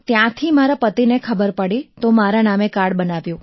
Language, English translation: Gujarati, From there, my husband came to know and he got the card made in my name